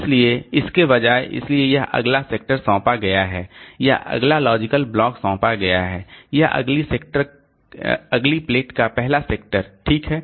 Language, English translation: Hindi, So, instead of that, so this next sector is assigned, the next logical block is assigned on the first sector of the next next plate